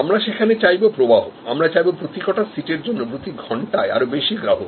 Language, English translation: Bengali, There we want flow; we want more customers per seat, per hour